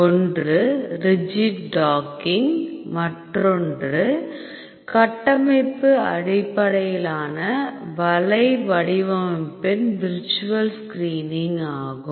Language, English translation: Tamil, One is rigid docking and the another is virtual screening in structure based web design